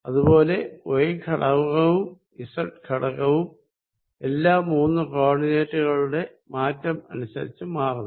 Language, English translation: Malayalam, Similarly, y component will change with all the three coordinates and so will the z component